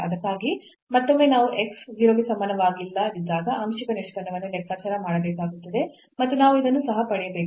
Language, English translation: Kannada, So, for that again we need to compute the partial derivative when x is not equal to 0 and we have to also get this we have already seen that this value is 0 and x is equal to 0